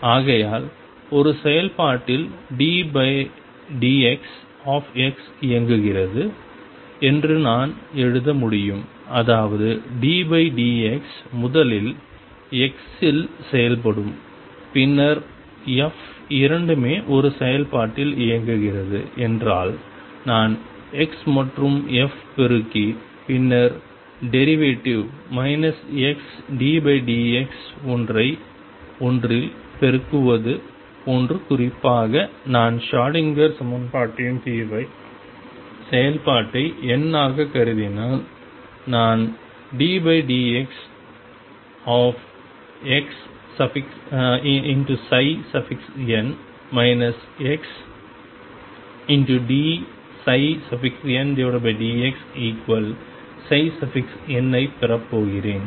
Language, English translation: Tamil, Therefore I can write that d by d x x operating on a function by that I mean d by d x will act on first on x and then f both this operating on a function means I will multiply x and f and then take the derivative minus x d by d x is like multiplying by one in particular, if I take f to be the n th I can function of the solution of the Schrödinger equation, I am going to have d by d x of x psi n minus x d psi n by d x is equal to psi n